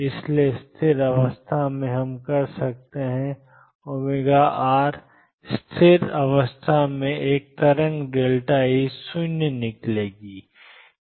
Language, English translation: Hindi, Therefore, in stationary state we can write a wave in a stationary state delta E will come out to be 0